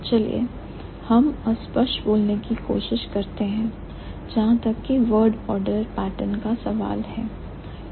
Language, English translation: Hindi, Let's try to find out the generalization as far as the word order pattern is concerned